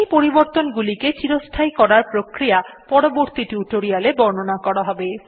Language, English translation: Bengali, The way by which we can make these modifications permanent will be covered in some advanced tutorial